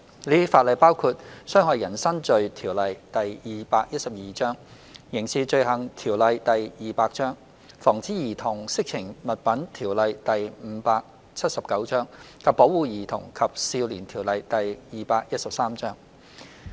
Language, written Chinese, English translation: Cantonese, 這些法例包括《侵害人身罪條例》、《刑事罪行條例》、《防止兒童色情物品條例》及《保護兒童及少年條例》。, They include the Offences against the Person Ordinance Cap . 212 the Crimes Ordinance Cap . 200 the Prevention of Child Pornography Ordinance Cap